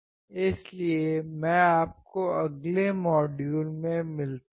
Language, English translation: Hindi, So, I will catch you in the next module